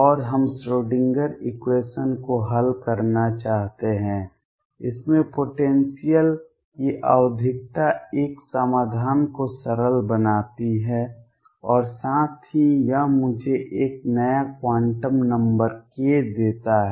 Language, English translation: Hindi, And we want to solve the Schrödinger equation in this the periodicity of the potential makes a solution simple as well as it gives me a new quantum number k